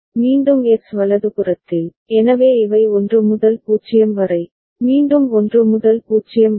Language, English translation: Tamil, And again at h right, so these are the instances 1 to 0, and again 1 to 0